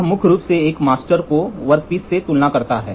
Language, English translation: Hindi, It primarily used to compare workpiece as against a master